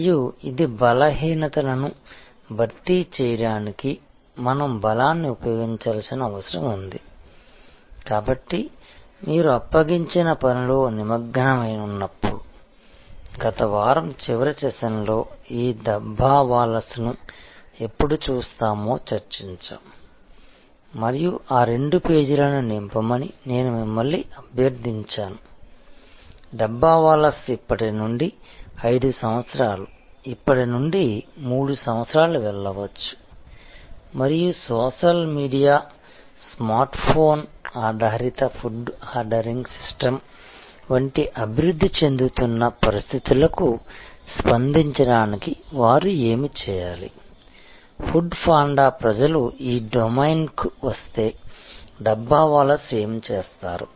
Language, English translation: Telugu, And this is, where we have to use strength to supplement are weaknesses, so when you engage in the assignment, that we discussed in the last session of last week when will looking at this Dabbawalas and I requested you to fill up those two pages about, where the Dabbawalas can go 5 years from now, 3 years from now and what do they need to do to respond to the emerging situations like social media Smartphone based food ordering system, what will they do if people like food panda coming to the domain of the Dabbawalas